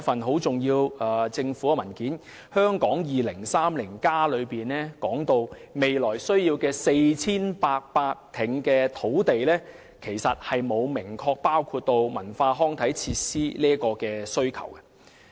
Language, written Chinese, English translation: Cantonese, 《香港 2030+： 跨越2030年的規劃遠景與策略》提及未來需要 4,800 公頃土地，但這其實沒有明確包含對文化康體設施的土地需求。, Hong Kong 2030 Towards a Planning Vision and Strategy Transcending 2030 asserts that 4 800 hectares of land will be needed in the future . But actually it does not say expressly that land demand for cultural and recreational facilities is included